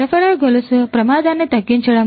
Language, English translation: Telugu, Minimizing supply chain risk